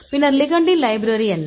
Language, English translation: Tamil, Then the ligand; what is the library of ligand